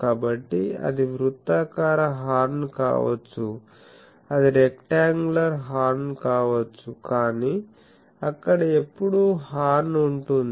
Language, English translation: Telugu, So, that may be a circular horn that may be a rectangular horn, but the there is always a horn